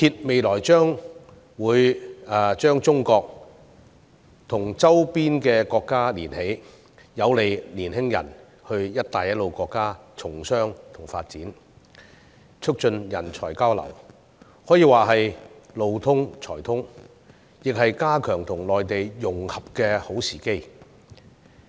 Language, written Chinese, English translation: Cantonese, 未來高鐵會將中國和周邊國家連接起來，有利年輕人前赴"一帶一路"國家從商和發展，促進人才交流，可以說是"路通才通"，亦是加強跟內地融合的好時機。, It will connect China with its neighbouring countries to bring convenience to young people who wish to do business and develop their career in the Belt and Road countries and promote talent exchange . In other words a good transport network will bring in global talents . Hong Kong should also capitalize on this opportunity to strengthen its integration with the Mainland